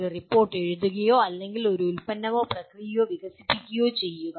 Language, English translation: Malayalam, Writing a report and or developing a product or process